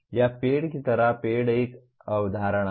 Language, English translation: Hindi, Or like a tree, tree is a concept